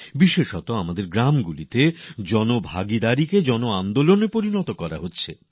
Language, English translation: Bengali, Especially in our villages, it is being converted into a mass movement with public participation